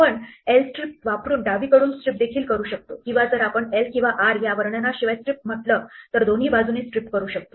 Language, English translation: Marathi, We can also strip from the left using l strip or we can strip on both sides if we just say strip without any characterization l or r